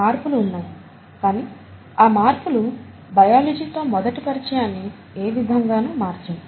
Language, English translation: Telugu, There are differences but those differences will not matter for an initial exposure to biology